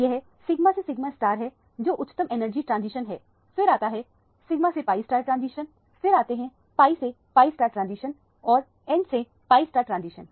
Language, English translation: Hindi, This is the sigma to sigma star is the highest energy transition, then comes the sigma to pi star transition, then come to pi to pi star transition and n to pi star transition